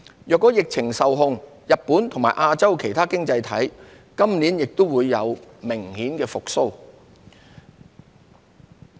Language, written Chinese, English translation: Cantonese, 若疫情受控，日本及亞洲其他經濟體今年也會明顯復蘇。, Once the epidemic is contained Japan and other economies in Asia will also see a visible recovery this year